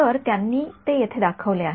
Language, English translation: Marathi, So, they have shown it over here